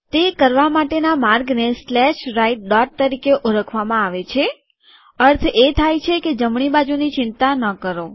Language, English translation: Gujarati, The way to do that is to use what is known as slash right dot, that means dont worry about the right hand side